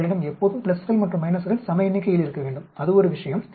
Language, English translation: Tamil, You should always have a equal number of pluses and minus that is one thing